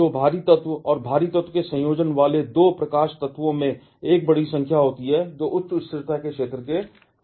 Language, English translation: Hindi, So, that 2 light elements combining to a heavier element and the heavier element is having a mass number, close to that zone of higher stability